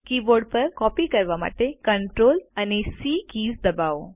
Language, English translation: Gujarati, On the keyboard, press the CTRL+C keys to copy